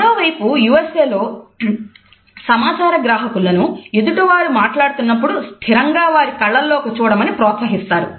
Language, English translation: Telugu, On the other hand in the USA listeners are encouraged to have a direct eye contact and to gaze into the speakers eyes